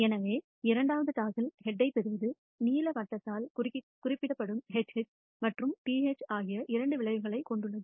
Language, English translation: Tamil, So, receiving a head in the second toss consists of two outcomes HH and TH denoted by the blue circle